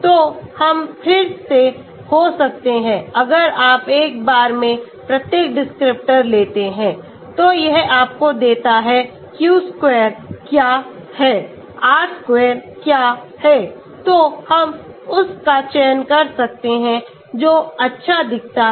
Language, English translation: Hindi, So we can have again if you take each descriptor one at a time, it gives you what is the q square, what is the r square so we can select that one which looks good